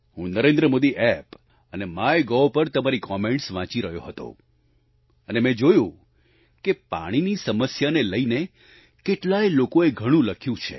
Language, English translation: Gujarati, I was reading your comments on NarendraModi App and Mygov and I saw that many people have written a lot about the prevailing water problem